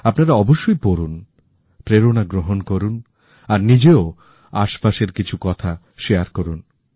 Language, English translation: Bengali, Do read them, get inspired and share similar instances